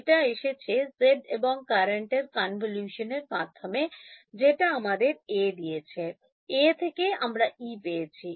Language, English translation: Bengali, It came by convolving G and the current which gave me A, from A I got E